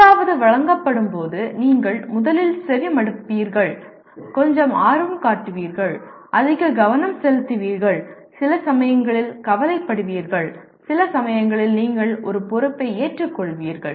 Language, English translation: Tamil, That means when something is presented you will first listen to and show some interest, pay more attention and sometimes concern and sometimes you take a responsibility